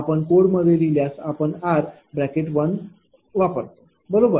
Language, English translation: Marathi, If you write code, you will use this one, right